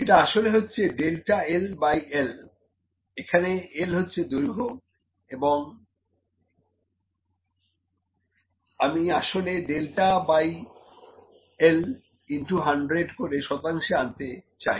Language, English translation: Bengali, I am actually calculating delta L by L into 100 this is percentage delta L is 0